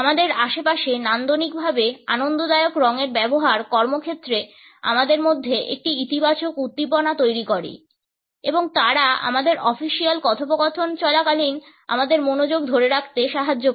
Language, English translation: Bengali, The use of those colors which are aesthetically pleasing in our surrounding create a positive stimulation in us at the workplace and they help us in retaining our focus during our official interactions